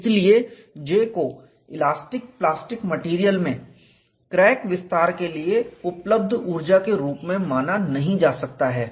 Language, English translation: Hindi, Hence J cannot be identified with the energy available for crack extension in elastic plastic materials